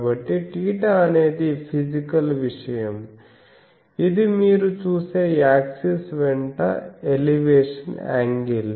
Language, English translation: Telugu, So, theta, theta is a physical thing, it is the elevation angle that means, with the axis you see